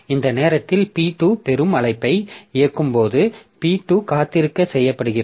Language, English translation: Tamil, So at this time when P2 executes a receive call, so P2 is made to wait